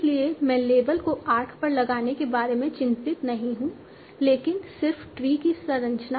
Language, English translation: Hindi, So I am not worried about putting the label on the arc but just the structure of the tree